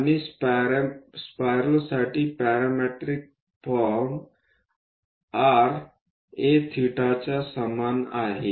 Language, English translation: Marathi, And the parametric form for spiral is r is equal to a theta